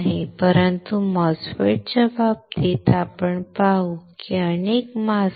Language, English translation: Marathi, But in case of MOSFET we will see there are multiple masks